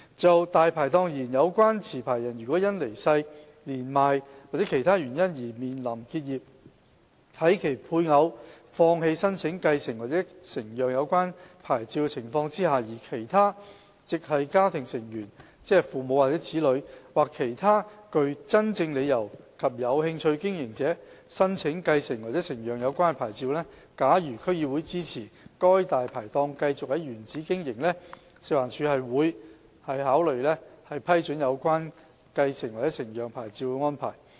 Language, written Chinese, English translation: Cantonese, 就"大牌檔"而言，有關持牌人如因離世、年邁或其他原因而面臨結業，在其配偶放棄申請繼承或承讓有關牌照的情況下，而其他"直系家庭成員"或其他具真正理由及有興趣經營者申請繼承或承讓有關牌照，假如區議會支持該"大牌檔"繼續在原址經營，食環署會積極考慮批准有關繼承或承讓牌照的安排。, As for Dai Pai Dongs if a Dai Pai Dong is to be closed down because of the licensees death old age or other reasons under the condition that the licensees spouse gives up applying for succession or transfer of the licence and that other immediate family members or other interested operators with genuine grounds apply for succession or transfer of the licence FEHD will consider allowing the succession or transfer arrangements if the relevant District Council DC supports the continuation of that Dai Pai Dongs operation in situ